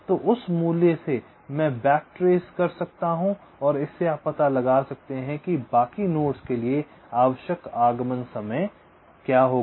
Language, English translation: Hindi, from that value i can back trace and you can deduce what will be the required arrival time for the other nodes